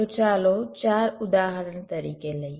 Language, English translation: Gujarati, so lets take as example four